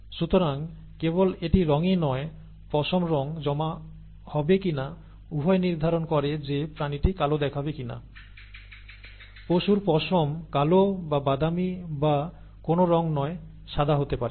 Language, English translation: Bengali, So the not only what colour it is, whether the colour will be deposited in the fur, both determine whether the animal turns out to be black, the animal fur turns out to be black or brown or no colour at all, white, maybe